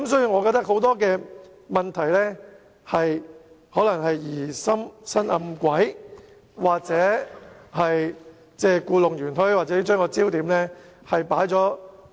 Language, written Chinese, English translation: Cantonese, 我認為很多問題可能歸咎於有人疑心生暗鬼、故弄玄虛，或把焦點錯置。, In my opinion many problems might be caused by people with imaginary fears out of suspicions using intrigues and tricks or misplacing the focus